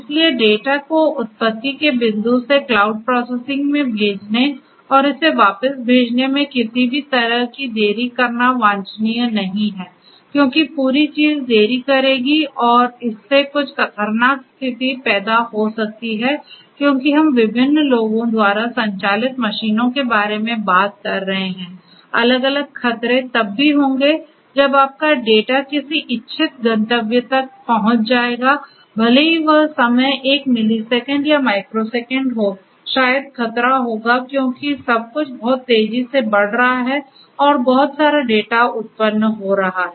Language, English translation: Hindi, So, it is not quite desirable to have any delay in sending the data from the point of origination to the cloud processing it over there and sending it back because the whole thing will add to the delay and that might lead to certain hazardous situations because we are talking about machines being operated by different different people, different hazards will happen even if your data reaches, the intended you know destination after maybe even a millisecond or a microsecond by that time maybe the hazard will happen, because everything is moving very fast you know lot of data are getting generated and so on